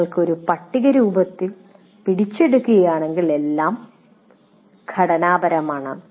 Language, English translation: Malayalam, If you capture it in the form of a table, it will, everything is structured